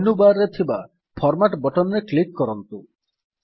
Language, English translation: Odia, Click on Format button on the menu bar